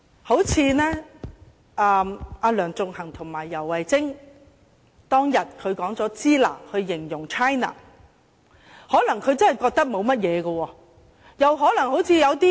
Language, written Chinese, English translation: Cantonese, 正如梁頌恆和游蕙禎當天以"支那"來形容 China， 他們可能真的認為沒有問題。, Similarly that day Sixtus LEUNG and YAU Wai - ching referred to China with a word pronounced as shina . Perhaps they genuinely did not consider it a problem